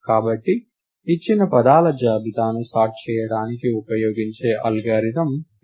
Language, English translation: Telugu, Therefore, this is an algorithm to sort a given list of words